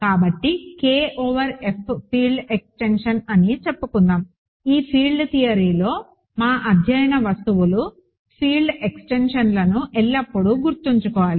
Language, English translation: Telugu, So, let us say K over F is a field extension; as always remember our objects of study in this field theory part is field extensions